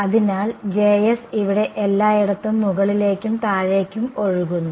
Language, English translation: Malayalam, So, J s is flowing all the way up and down over here